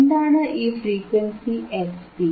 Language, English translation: Malayalam, So, what is this frequency fc